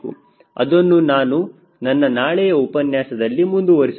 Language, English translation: Kannada, ok, that will be my next part of my lecture tomorrow